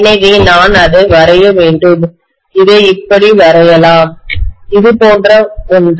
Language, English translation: Tamil, So I should draw it as though, let me draw it like this, something like this